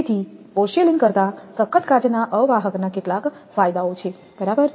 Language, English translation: Gujarati, So, some of the advantages of toughened glass insulators over porcelain insulators are right